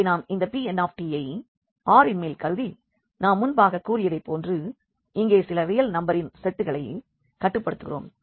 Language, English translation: Tamil, So, here we are considering this P n t again over R as I said we will be restricting to a set of real number here